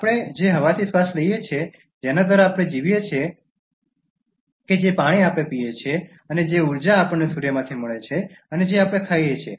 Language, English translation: Gujarati, The air we breathe by which we survive, the water we drink, and the energy we get from Sun and the food we eat